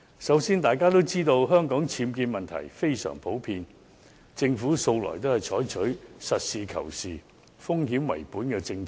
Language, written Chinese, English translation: Cantonese, 首先，大家也知道，香港僭建問題非常普遍，政府向來都是採取實事求是，風險為本的政策。, First as we all know the problem of UBWs is very common in Hong Kong and the Government has always taken a pragmatic and risk - based approach